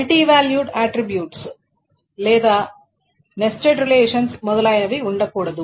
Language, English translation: Telugu, There should not be any multivalued attributes or nested relations, etc